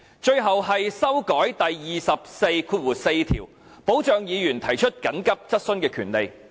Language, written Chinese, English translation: Cantonese, 最後，是修訂《議事規則》第244條，以保障議員提出急切質詢的權利。, Finally I propose to amend Rule 244 of the Rules of Procedure in order to protect Members right to raise urgent questions